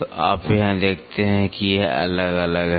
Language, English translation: Hindi, So, you see here it is varying, it is varying